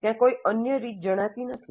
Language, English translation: Gujarati, There does not seem to be any unique way